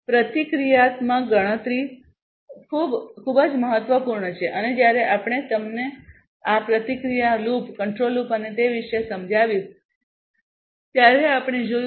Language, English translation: Gujarati, Reactive computation is very important and that we have seen when I explained to you about this feedback loop, the control loop and so on